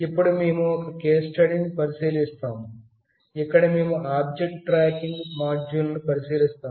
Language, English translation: Telugu, Now, we will consider a case study, where we will consider an object tracking module